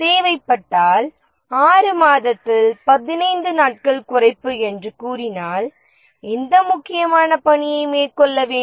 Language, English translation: Tamil, If the requirement is, let's say, 15 days reduction in a six month project, which critical task to take up